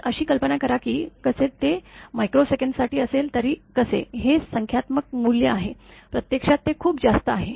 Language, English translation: Marathi, So, imagine that how; although it is for microsecond or so, but how; it is a numerical value, it is very high actually